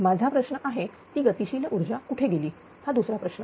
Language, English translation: Marathi, My question is where that kinetic energy goes right